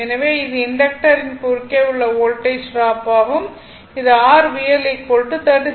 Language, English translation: Tamil, So, this is the Voltage drop across the inductor that is your V L is equal to 39